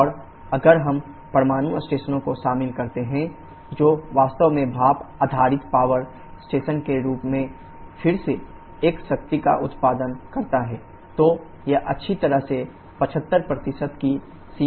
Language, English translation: Hindi, And if we include the nuclear stations which actually produces a power again in the form of a steam based power station, so it can well go into the range of 75%